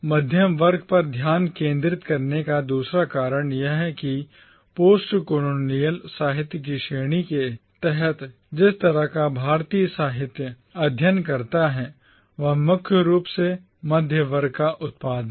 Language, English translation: Hindi, The second reason for focusing on the middle class is because the kind of Indian literature that gets studied under the category of Postcolonial literature remains predominantly the production of the middle class